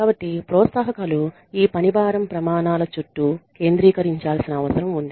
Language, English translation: Telugu, So, the incentives need to be focused around these workload standards